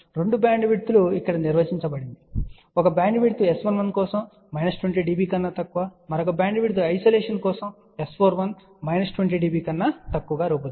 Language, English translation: Telugu, You can see that the 2 bandwidths are defined here, one bandwidth is for S 1 1 less than minus 20 dB, another bandwidth is designed for isolation S 4 1 less than minus 20 dB